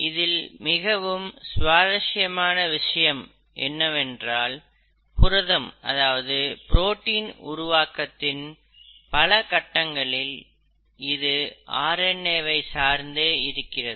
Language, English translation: Tamil, What is even more interesting and intriguing is to note that as we go into the details of protein synthesis, multiple steps in protein synthesis are dependent on RNA